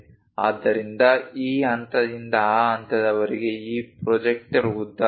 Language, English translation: Kannada, So, this point to that point, this projector length is 0